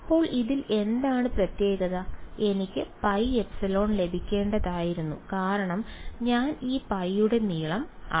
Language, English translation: Malayalam, So, what is the catch in this I should have got pi epsilon because I measuring the length of this pi